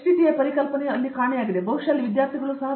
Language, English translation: Kannada, Where this HTTA concept is missing, probably there the students are also missing